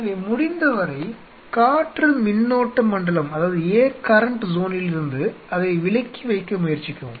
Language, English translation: Tamil, So, try to keep it away from that air current zone and as far as possible